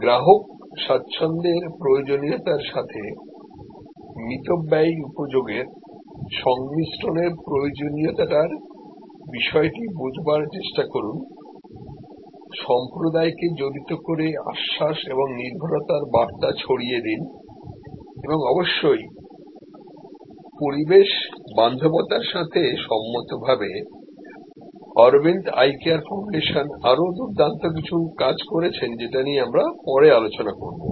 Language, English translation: Bengali, Understand the need of combining, frugal utility with requisite level of customer comfort, involve the community to provide assurance to spread the message of reliability and of course, there are other great things done by Aravind eye care foundation with respect to eco friendly may be I will discuss that at a later date